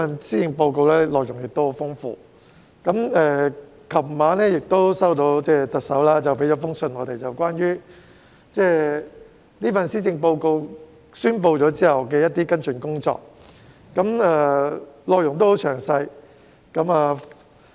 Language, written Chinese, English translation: Cantonese, 施政報告的內容十分豐富，而我們昨晚亦接獲特首向我們發出的信件，內容關於在宣布施政報告後的一些跟進工作，十分詳細。, The Policy Address is very rich in contents and last night we received the Chief Executives letter to us with a detailed account of certain follow - ups on the Policy Address after its announcement